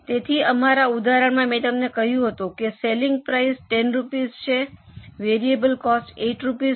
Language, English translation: Gujarati, So, in our example, I had told you that selling price is $10, variable cost is $8